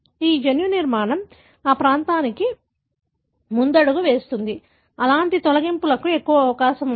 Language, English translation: Telugu, So, that genomic structure predispose that region, more prone to have such deletions